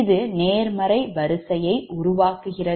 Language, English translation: Tamil, so this is a positive sequence network